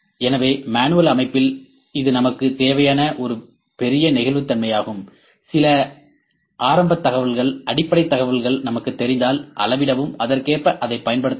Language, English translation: Tamil, So, in manual system, this is a big flexibility that whatever we need to measure if we know the some initial information, basic information we can use it accordingly, according to our requirement